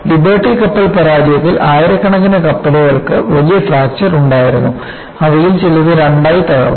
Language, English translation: Malayalam, In the case of Liberty ship failure, you had thousands of ships had major fractures, and some of them broke into two